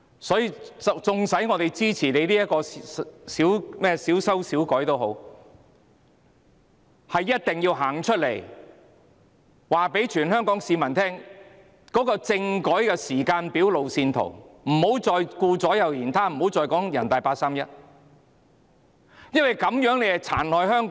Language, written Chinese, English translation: Cantonese, 所以，縱使我們支持這項小修小補的《條例草案》，也一定要告訴全香港市民，政府必須提供政改的時間表和路線圖，不要再顧左右而言他，不要再說人大八三一決定，因為這樣做只會殘害香港。, Hence although we support this Bill which proposes only minor patch - ups we have to tell all Hong Kong people that the Government must present a timetable and a roadmap for constitutional reform instead of beating about the bush and using the 31 August Decision of the Standing Committee of the National Peoples Congress NPCSC as an excuse because it will only hurt Hong Kong